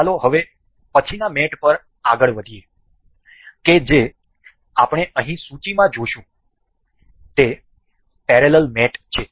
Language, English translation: Gujarati, So, let us move onto the next kind of mate that is we will see here in the list that is parallel mate